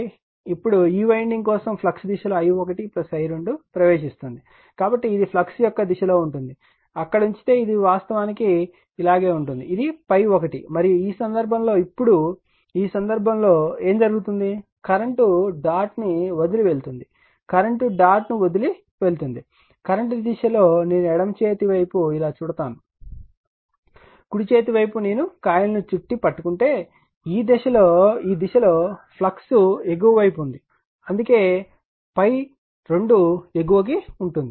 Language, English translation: Telugu, Now, in the direction of the flux for this winding for this winding i 1 plus i 2 entering, so it direction of the flux that if you put there it is it is actually going like this, this is phi 1 and in this case now in this case what is happening, that current is leaving the dot right as the current is leaving the dot that in the direction of the current if I wrap it the way on the left hand side, right hand side, if I wrap or grabs the coil like this the direction of flux is upward that is why phi 2 is upward